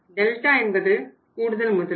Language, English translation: Tamil, Delta means change in the investment